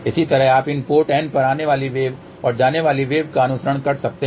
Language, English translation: Hindi, Similarly you can follow so port N so incoming wave and outgoing wave